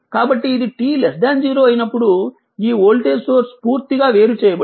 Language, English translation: Telugu, So, when it was t less than 0 this voltage source is completely disconnected, right